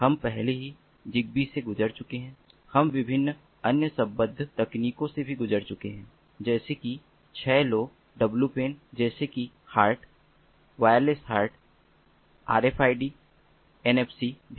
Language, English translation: Hindi, we have also gone through different other allied technologies such as six lowpan, such as hart, wireless hart, rfid and also nfc